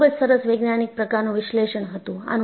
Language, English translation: Gujarati, And, this was done a very nice scientific analysis